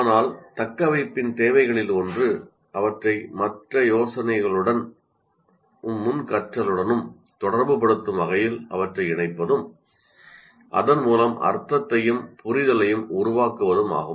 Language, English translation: Tamil, But one of the requirements of retention is linking them in a way that relates ideas to other ideas and to prior learning and so creates meaning and understanding